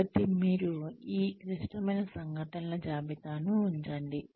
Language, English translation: Telugu, So, you keep a list of these critical incidents